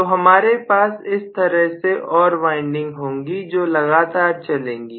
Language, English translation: Hindi, So we are going to have more and more windings like this continuously